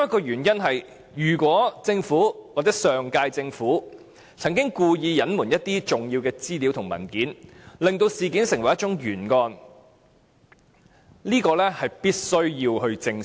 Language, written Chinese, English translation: Cantonese, 如果上屆政府曾經故意隱瞞一些重要的資料和文件，令事件成為一宗懸案，我們必須正視。, If the last - term Government had deliberately withheld important information and documents thus turning the matter into a cold case we must address the matter seriously